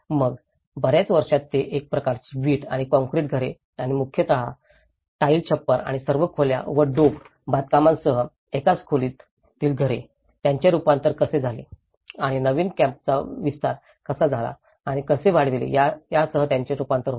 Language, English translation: Marathi, Then, over the years they get modified into a kind of brick and concrete houses and mostly with the tile roofing and a single room houses with all the wattle and daub constructions, how they have transformed and the new camp how they have started extending and how two different families and then how they started expanding this houses